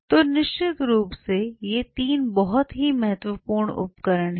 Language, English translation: Hindi, So, definitely these 3 are some of the very important tools